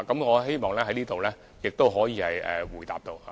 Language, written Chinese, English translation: Cantonese, 我希望這可以回答到這個問題。, I hope that I have answered the question